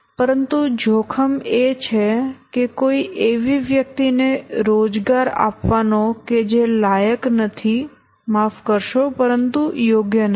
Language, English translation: Gujarati, But the danger is to employ somebody who is not eligible but not suitable